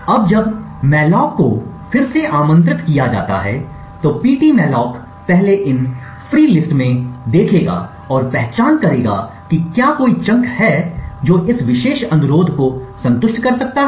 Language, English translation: Hindi, Now when malloc is invoked again pt malloc would first look into these free list and identify if there is a chunk which can satisfy this particular request